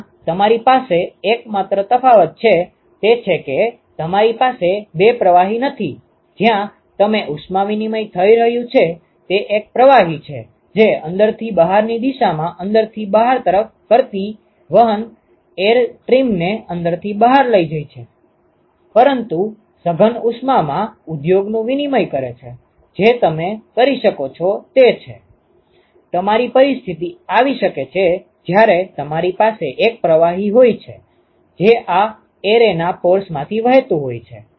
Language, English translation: Gujarati, Where you have the only difference there is that you do not have two fluids where it heat exchange is happening it is just one fluid which is carrying heat from inside to the outside the airstream which is carrying from inside to the outside, but in compact heat exchanges industries, what you can have is; you can have a situation where you have one fluid, which is flowing through the pores of this array ok